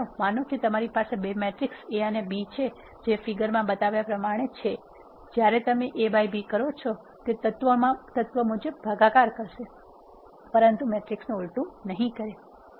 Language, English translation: Gujarati, So, let us suppose you have two matrices A and B as shown in the figure when you do A by B it will perform an element wise division, but not the inverse of a matrix